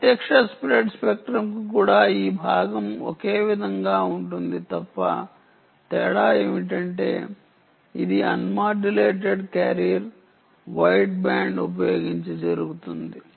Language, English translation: Telugu, this part is the same even for direct spread spectrum, except that the difference is this is done using un modulated career ah, white band